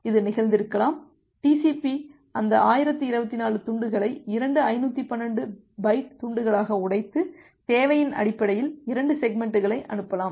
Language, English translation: Tamil, It may happened that, the TCP may break that 1024 chunk into two 512 byte chunk, and send 2 segments based on the need the need, I will discuss a couple of minute later